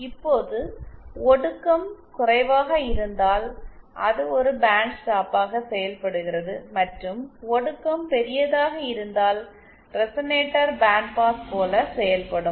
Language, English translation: Tamil, Now depending on if the attenuation is large, it acts as a bandstop and if the attenuation is large, then the resonator will act like bandpass